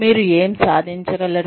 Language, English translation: Telugu, What you are able to achieve